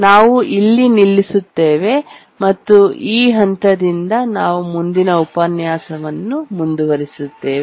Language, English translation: Kannada, We'll stop here and from this point we'll continue the next lecture